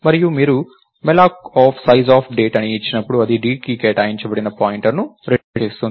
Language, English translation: Telugu, And when you do malloc of sizeof Date that returns a pointer that is assigned to d